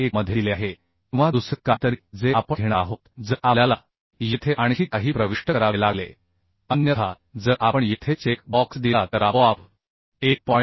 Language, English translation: Marathi, 1 or something else we are going to take if something else we have to enter here otherwise if we give the check box here then automatically it will take 1